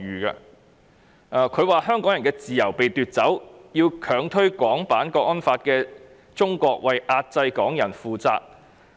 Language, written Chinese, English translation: Cantonese, 他表示，香港人的自由被奪走，要強推《港區國安法》的中國為壓制港人負責。, He indicated that Hong Kong peoples freedom had been taken away and that China who pushed through the National Security Law had to be held accountable for its oppressive actions against the people of Hong Kong